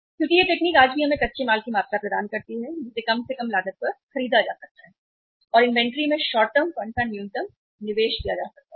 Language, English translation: Hindi, Because this technique even today gives us the quantity of the raw material that can be purchased at the lowest possible cost and minimum investment of the short term funds can be made in the inventory